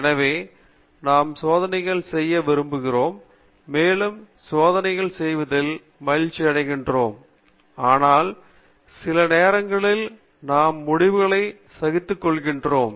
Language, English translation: Tamil, So we all like to do experiments and we enjoy doing experiments, but sometimes we get frustrated with the results